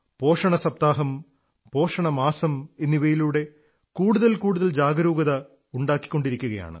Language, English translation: Malayalam, Whether it is the nutrition week or the nutrition month, more and more awareness is being generated through these measures